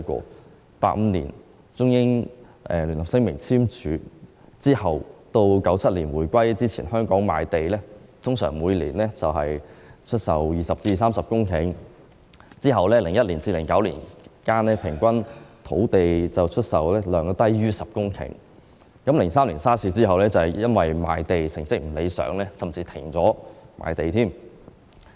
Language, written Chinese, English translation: Cantonese, 在1985年簽署《中英聯合聲明》後至1997年香港回歸之前，香港出售的土地每年通常為20公頃至30公頃，而在2001年至2009年間，平均土地出售量低於10公頃 ；2003 年 SARS 之後，由於賣地成績不理想，甚至停止賣地。, During the period after the signing of the Sino - British Joint Declaration in 1985 and the handover of Hong Kong in 1997 usually an average of 20 hectares to 30 hectares of land were sold annually in Hong Kong whereas between 2001 and 2009 the average quantity of land sold was less than 10 hectares and after the SARS outbreak in 2003 a moratorium on land sale was even implemented due to unsatisfactory returns from land sale